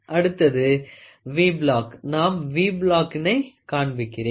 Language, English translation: Tamil, Next is V Block, let me first show the V block